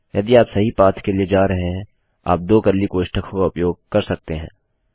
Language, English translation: Hindi, If you are going for the True path, you can use two curly brackets